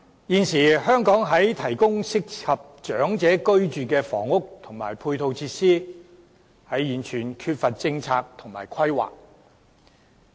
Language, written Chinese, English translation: Cantonese, 現時香港提供適合長者居住的房屋及配套設施時，完全缺乏政策和規劃。, At present housing units and supporting facilities for the elderly in Hong Kong lack a policy and planning